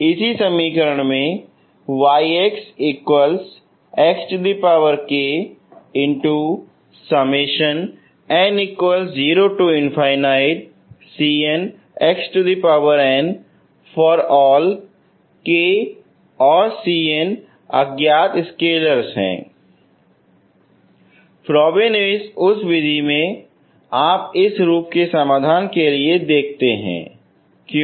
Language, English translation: Hindi, So in the Frobenius method you look for solutions of this form, okay